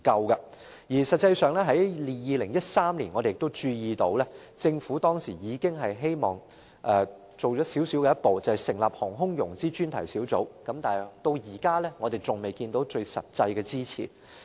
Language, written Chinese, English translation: Cantonese, 而實際上，我們均注意到，政府已在2013年踏出一小步，那便是成立航空融資專題小組，但至今我們仍未看到任何實質的支持。, Actually we notice that the Government has already taken a small step forward in 2013 that is the setting up of the Aerospace Finance Task Force but no substantive support has been provided so far